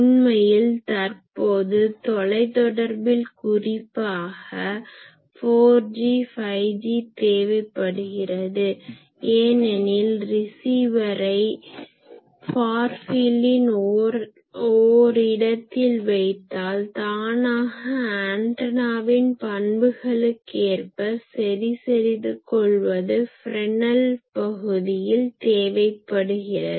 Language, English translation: Tamil, Actually, in modern day communication particularly this 4G, 5G they required this because they cannot have that I will put the receiver only in the far field, but they want to correct for that the antennas characterization is necessary in the Fresnel zone